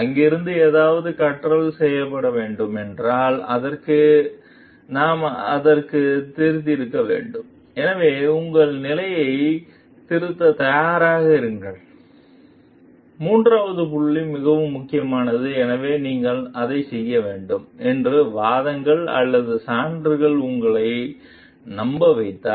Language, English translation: Tamil, And if something learning needs to be done from there, we must be open for it also, so that is what the third point is very important like be willing to revise your position, so if the arguments or evidence convinces you that you should be doing it